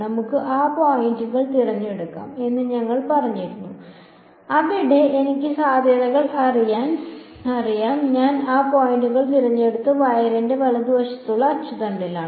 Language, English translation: Malayalam, We had said let us choose those points, where I know the potential and I chose those points to be along the axis of the wire right